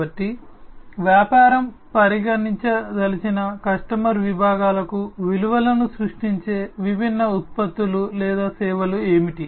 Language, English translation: Telugu, So, what are the different products or the services that will create the values for the customer segments that the business wants to consider